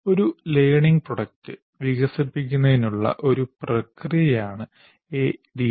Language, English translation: Malayalam, So, ADI is a process for development of a learning product